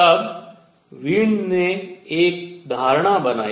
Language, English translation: Hindi, Now, Wien made an assumption